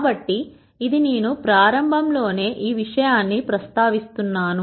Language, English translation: Telugu, So, that is one thing that I would like to mention right at the beginning